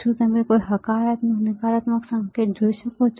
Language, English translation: Gujarati, Can you see any positive negative sign